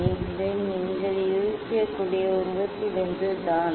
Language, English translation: Tamil, this just from the figure you can guess